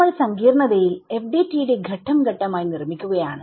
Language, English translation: Malayalam, So, we are building the FDTD in complexity step by step